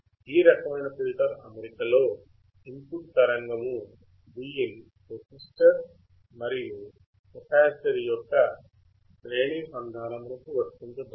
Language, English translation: Telugu, In this type of filter arrangement, the input signal Vin is applied, to series combination of resistor and capacitor